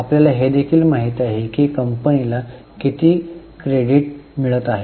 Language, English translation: Marathi, We also know that how many days the company is getting credit